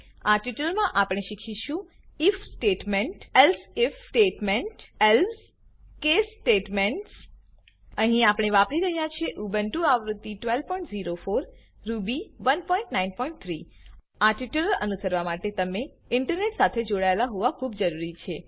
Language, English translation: Gujarati, In this tutorial we will learn to use if statement elsif statement else case statements Here we are using Ubuntu version 12.04 Ruby 1.9.3 To follow this tutorial, you must have Internet Connection